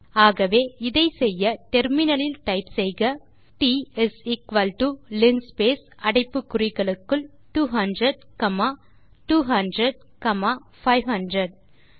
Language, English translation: Tamil, Hence we do this, by typing on the terminal T is equal to linspace within brackets 200 comma 200 comma 500